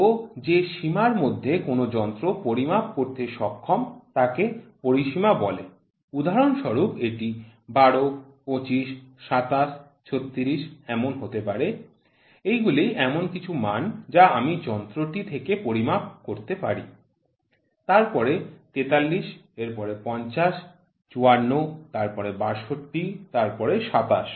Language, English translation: Bengali, So, range is the capacity within which the instrument is capable of measuring for example, it can be 12, 25, 27, 29, 36 these are some of the values what I get out of measuring device 43 then 50, 54 then 62 then 27